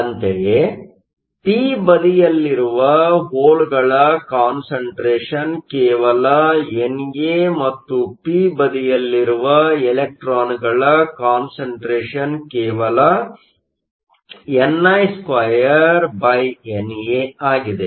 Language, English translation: Kannada, Similarly, the concentration of holes in the p side is just NA, and the concentration of electrons in the p side is just ni2NA